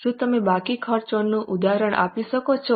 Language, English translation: Gujarati, Can you give any example of outstanding expense